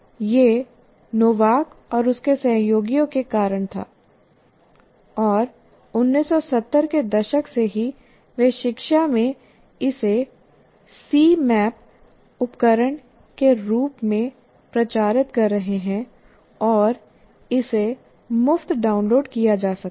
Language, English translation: Hindi, And this was due to Novak and his associates and right from 1970s onwards they have been promoting this in education and you have a free tool called Cmap 2, C map tools and it can be downloaded free